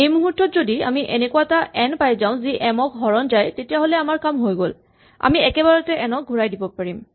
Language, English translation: Assamese, At this point if we have found n such that n divides m we are done and we can directly return n